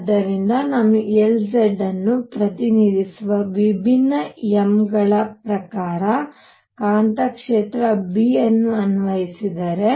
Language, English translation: Kannada, So, if I apply a magnetic field B according to different m’s that represent L z